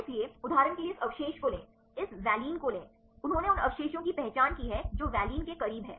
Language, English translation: Hindi, So, take any of this residue for example, take this valine they have identified the residues which are close to valine right